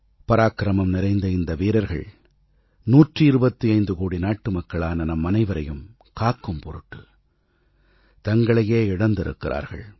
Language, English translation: Tamil, These brave hearts made the supreme sacrifice in securing the lives of a hundred & twenty five crore Indians